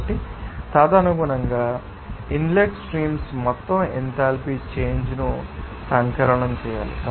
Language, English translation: Telugu, So, accordingly you have to sum it up that total enthalpy change in the inlet streams